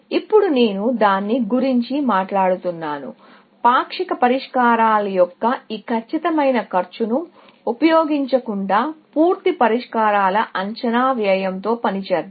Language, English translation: Telugu, Now, I am talking about that; that instead of using this exact known cost of partials solutions, let us work with estimated cost of full solutions